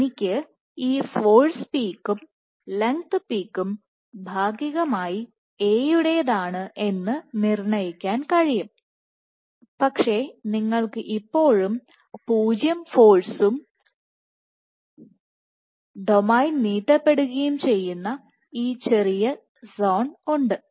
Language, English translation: Malayalam, So, this I can ascribe, I can assign this force peak and length peak to A partly, but you still have this small zone where this force is 0 and the domain is getting stretched